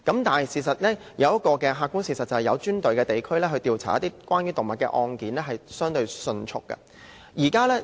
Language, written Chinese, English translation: Cantonese, 但是，事實上，設有專隊的警區調查關於動物的案件相對迅速。, However the fact is the investigations into animal cases are relatively quicker in police districts with dedicated teams